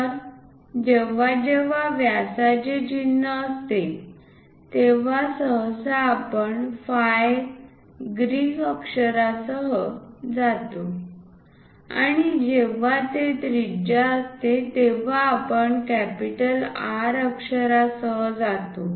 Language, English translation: Marathi, So, whenever diameter symbol has to be used usually we go with ‘phi’ Greek letter and whenever it is radius we go with capital ‘R’